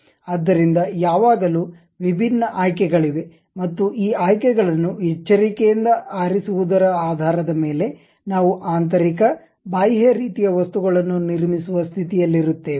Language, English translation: Kannada, So, there always be different options and based on carefully picking these options we will be in a position to really construct internal external kind of objects